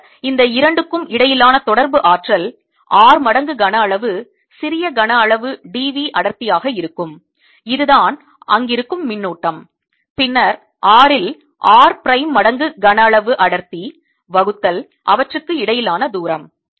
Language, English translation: Tamil, then the interaction energy between these two is going to be density at r times volume, small volume d v that is the charge there then density at r prime, primes of volume at r prime, divided by the distance between them